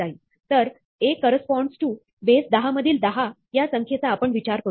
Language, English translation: Marathi, So, A corresponds to, what we would think of is the number 10 in base 10